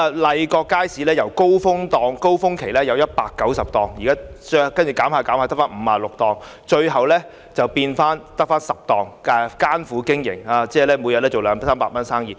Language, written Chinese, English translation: Cantonese, 麗閣街市由高峰期有190個商戶逐漸減至56個商戶，最後只餘下10個商戶艱苦經營，每天只有二三百元生意。, During the prime days there were 190 tenants operating in Lai Kok Market yet the number diminished gradually to 56 tenants . Eventually only 10 tenants are left striving for survival making a daily turnover of merely 200 to 300